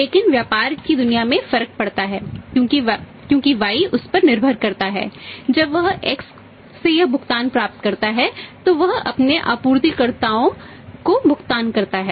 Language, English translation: Hindi, But it makes a difference in the business world because Y is depending upon that I received this payment for X and I will make the payment to my supplier